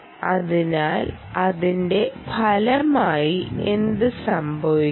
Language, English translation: Malayalam, so, as a result, what will happen